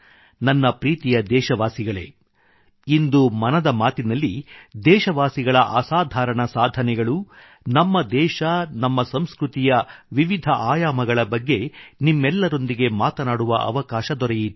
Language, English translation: Kannada, In today's Mann Ki Baat, I have had the opportunity to bring forth extraordinary stories of my countrymen, the country and the facets of our traditions